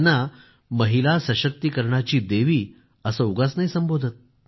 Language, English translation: Marathi, She has not been hailed as Goddess of women empowerment just for nothing